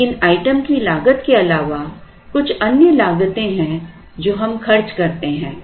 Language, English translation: Hindi, But, in addition to the cost of the item there are few other costs that we incur